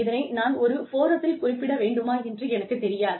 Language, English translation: Tamil, I do not know, if I should be mentioning, it in a public forum